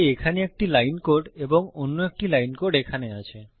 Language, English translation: Bengali, Because I have one line of code here and another one line of code here